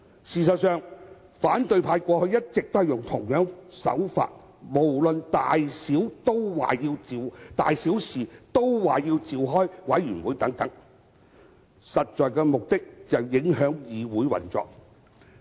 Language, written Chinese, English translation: Cantonese, 事實上，反對派過去一直以相同手法，事無大小均要求召開委員會，目的是要影響議會運作。, In fact the opposition camp has always used the same approach of requesting to set up committees on issues important or otherwise with the objective of affecting the operation of this Council